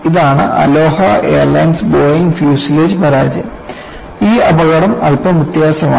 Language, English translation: Malayalam, This is Aloha airlines Boeing fuselage failure, and this accident is slightly different